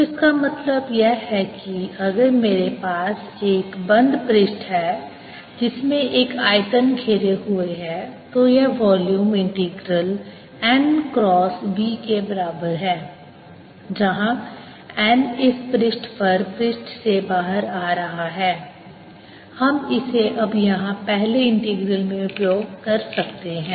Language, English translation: Hindi, so what this means is that if i have a closed surface enclosing a volume, this volume integral is equal to n cross v, where n is coming out of the surface, over this surface